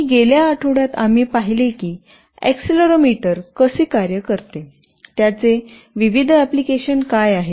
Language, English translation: Marathi, And in the last week, we saw how an accelerometer works, what are its various applications